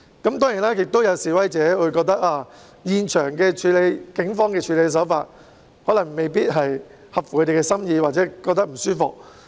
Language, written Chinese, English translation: Cantonese, 當然，亦有示威者認為警方在現場的處理手法未必合其心意或令他們感到不舒服。, Of course some protesters may also consider that the handling approach of the Police at the scene might not be satisfactory to them or it has made them feel uncomfortable